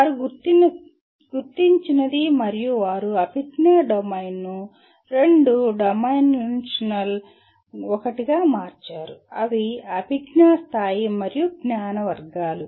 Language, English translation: Telugu, That is what they have identified and they converted cognitive domain into a two dimensional one, namely cognitive level and knowledge categories